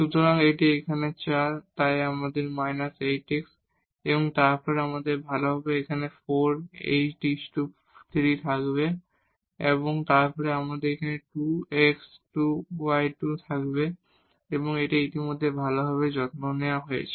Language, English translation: Bengali, So, here this is 4, so minus 8 x then, we will have here 8 x cube and then we will have this plus 2 x y square and this is already taken care well